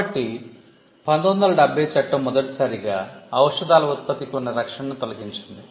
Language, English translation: Telugu, So, the 1970 act for the first time, it removed product protection for medicines